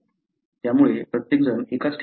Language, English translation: Marathi, So, not everyone go to the same place